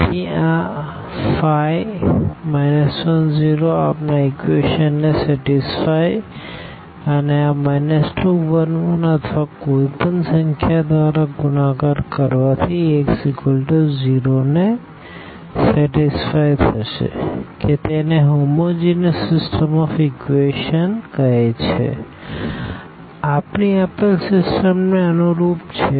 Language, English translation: Gujarati, So, this 5, minus 1, 0 will satisfy our equations and this minus 2 1 1 or multiplied by any number this will satisfy Ax is equal to 0 that the so called the homogeneous system of equations, a corresponding to our given system